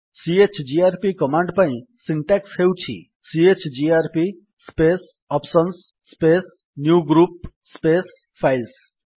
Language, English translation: Odia, The syntax for the chgrp command is chgrp space [options] space newgroup space files